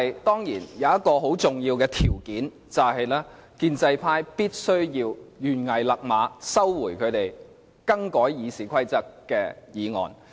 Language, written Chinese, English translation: Cantonese, 當然，有一個很重要的條件，就是建制派必須懸崖勒馬，收回他們修改《議事規則》的議案。, Of course an extremely vital prerequisite is that the pro - establishment camp must call a halt to the amendments to the RoP and withdraw the relevant motion